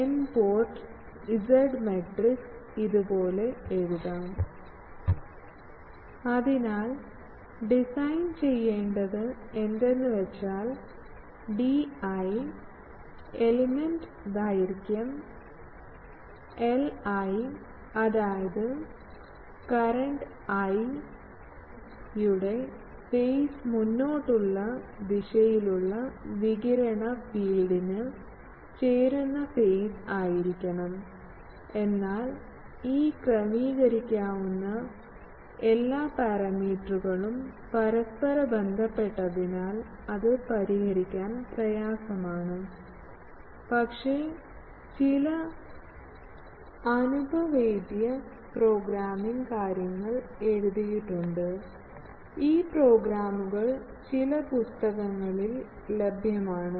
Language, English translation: Malayalam, This now becomes an n plus 1 port, so you can see that, we can write the n port Z matrix like this So, the design problem is, choose the space in d i and element length l i; such that the currents I will have the proper phase to provide in phase addition to the radiated field in the forward direction, but since all this adjustable parameters are inter related, it is difficult to solve, but people have write some empirical programming thing, so these programs are available in some books these are given